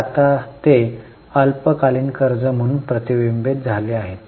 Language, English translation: Marathi, So, now they are reflected as short term borrowing